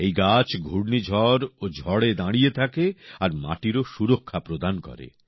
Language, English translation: Bengali, These trees stand firm even in cyclones and storms and give protection to the soil